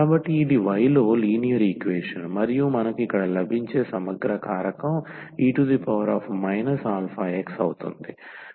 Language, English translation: Telugu, So, this is linear equation in y and the integrating factor which we get here is a e power minus this alpha times x